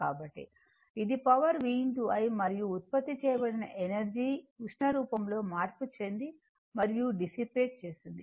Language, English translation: Telugu, So, this is the power v into i and energy produced is converted into heat and dissipated right